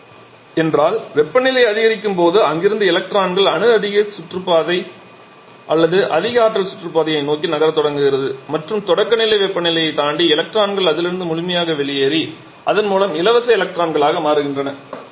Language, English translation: Tamil, Ionized means as the temperature increases the electrons from there atom starts to move towards a higher orbit a higher high energy orbits and beyond the threshold temperature the electrons completely come out of that thereby becoming free electron